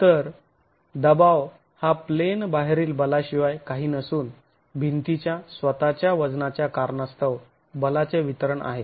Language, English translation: Marathi, So here the expression that the pressure is nothing but out of plane forces, distributed forces, due to the self weight of the wall itself